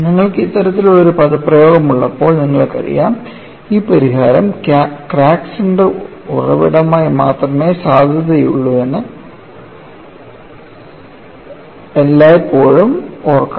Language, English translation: Malayalam, You know when you have this kind of an expression, you should always remember that this solution is valid only for crack center as origin; otherwise, it will not carry the meaning